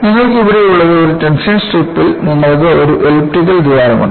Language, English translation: Malayalam, So, what you have here is, in a tension strip you have an elliptical hole